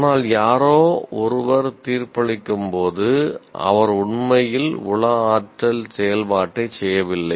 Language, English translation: Tamil, But when somebody is judging, he is not actually performing the psychomotor activities